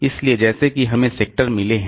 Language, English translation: Hindi, So, like that we have got sectors